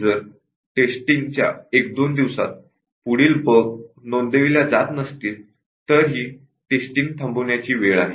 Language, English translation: Marathi, And, once in a day or two of testing no further bugs are reported that is the time to test